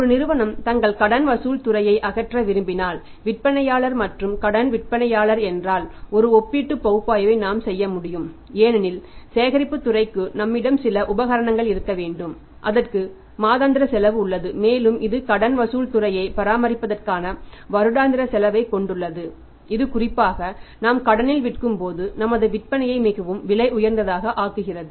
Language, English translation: Tamil, If a company who is the seller who is the manufacturer and seller on credit if they want to dismantle there debt collection department because we can make a comparative analysis in the comparative analysis that, collection department has a cost we have to have the people we have to have the space we have to have the some equipments also and it has a monthly cost and it has the annual cost for a maintaining the debt collection department which makes our sales very expensive particularly when we are selling on credit